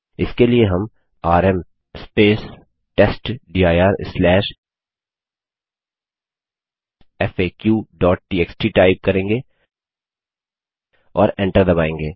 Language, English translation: Hindi, For this we type rm space testdir/faq.txt and press enter